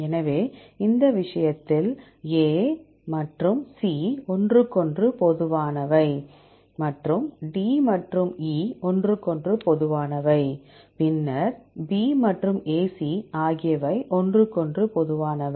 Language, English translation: Tamil, So, in this case, A and C are common to each other and D and E are common to each other right and then B and A C are common to each other